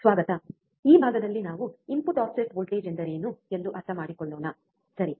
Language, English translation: Kannada, Welcome, this module is for understanding what is input offset voltage, alright